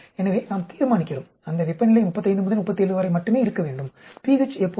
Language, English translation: Tamil, So, we decide, that temperature should be only between 35 and 37, pH should be always